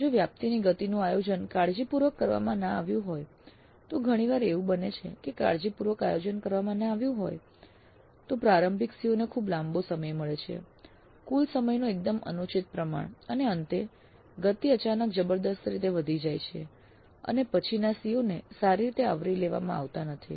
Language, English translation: Gujarati, These two are related if the pace of coverage is not planned carefully and often it does happen that it is not planned carefully then initial COs gets fairly long time, fairly undue proportion of the total time and towards the end the pace suddenly picks up tremendously and the later COs are not covered that well